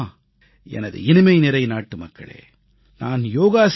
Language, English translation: Tamil, My dear countrymen, I am not a Yoga teacher